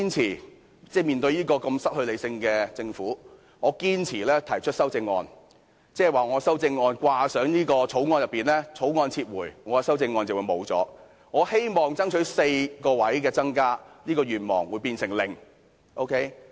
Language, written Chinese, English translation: Cantonese, 如果面對失去理性的政府，我仍堅持提出修正案，即是把我的修正案掛上《條例草案》，《條例草案》一旦被撤回，我的修正案也沒有了，我希望爭取增加4個座位的願望亦變成零。, Had I insisted on proposing my CSAs in the face of the irrational government I would have tied my CSAs to the Bill . If the Bill is withdrawn my CSAs will also be void meaning that none of the four additional seats which I have been striving for will materialize